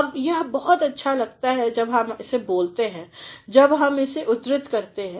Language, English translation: Hindi, ” Now, it looks very pleasant while we speak it, while we quote it